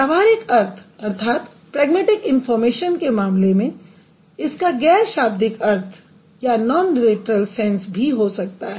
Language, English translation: Hindi, And in case of the pragmatic information, it can also have non literal sense of interpretation